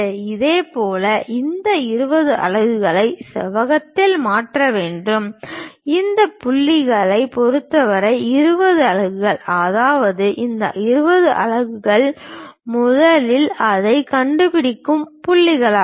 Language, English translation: Tamil, Similarly, we have to transfer this 20 units on the rectangle, with respect to this point 20 units; that means, this is the point with respect to that 20 units first locate it